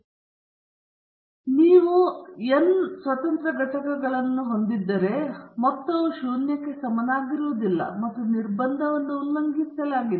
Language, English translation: Kannada, If you have n independent entities of the deviations, the sum may not be equal to zero and the constraint is violated